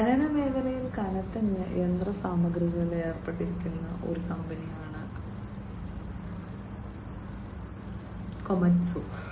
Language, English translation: Malayalam, Komatsu is a company, which is into heavy machinery in the mining sector